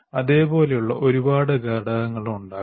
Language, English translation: Malayalam, There are a whole set of components like that